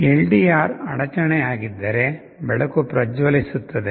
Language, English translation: Kannada, You see if LDR is interrupted, the light is glowing